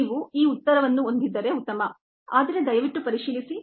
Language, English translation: Kannada, if you have this answer, fine, but please verify